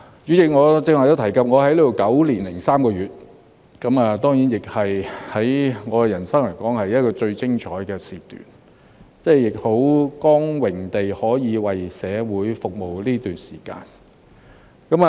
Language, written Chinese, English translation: Cantonese, 主席，我剛才都提及，我在這裏9年零3個月，對我的人生來說，是最精彩的時段，我亦感到很光榮，可以在這段時間為社會服務。, President as I mentioned earlier I have been working here for nine years and three months . To me this period of time is the highlight of my life and it is a great privilege for me to be able to serve the community throughout